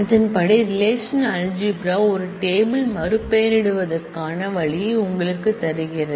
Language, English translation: Tamil, And accordingly, the relational algebra, gives you a way to rename a table and put it is name differently